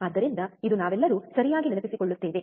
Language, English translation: Kannada, So, this we all remember correct